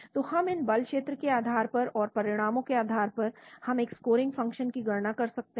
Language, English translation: Hindi, So we can have based on these force field and the results, we can calculate a scoring function